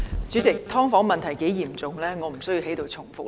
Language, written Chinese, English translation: Cantonese, 主席，"劏房"問題有多嚴重，我無須在此重複。, President there is no need for me to recap how serious the problem of subdivided units is